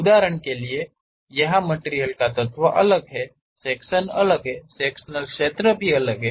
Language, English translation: Hindi, For example, here the material element is different, the sectional area is different; the sectional area is different, the sectional area is different